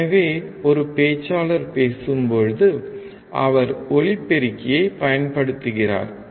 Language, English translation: Tamil, So when a speaker is speaking, he is using microphone